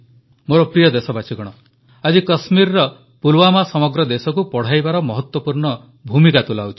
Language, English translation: Odia, Today, Pulwama in Kashmir is playing an important role in educating the entire country